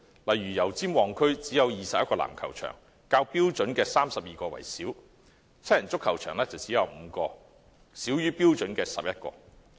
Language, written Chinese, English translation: Cantonese, 例如油尖旺區只有21個籃球場，少於標準的32個；七人足球場只有5個，少於標準的11個。, For example there are only 21 basketball courts in the Yau Tsim Mong District lower than the 32 as required; and there are only 5 7 - a - side football pitches lower than the 11 as required